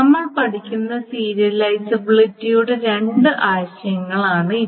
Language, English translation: Malayalam, So, these are the two notions of equivalence of serializability that we will study